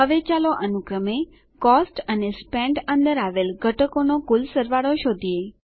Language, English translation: Gujarati, Now, let us find the sum total of the components under Cost and Spent respectively